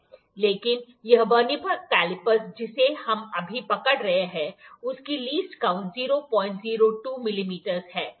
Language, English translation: Hindi, But, this Vernier caliper that we have holding now is having just the least count is 0